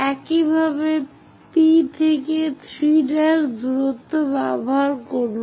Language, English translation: Bengali, Similarly, from P use 3 prime distance locate there